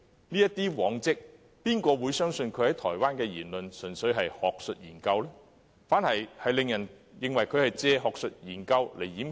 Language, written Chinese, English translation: Cantonese, 根據他的往績，有誰會相信他在台灣的言論只是單純的學術研究呢？, Given his track record who will believe the remarks he made in Taiwan were purely related to academic research?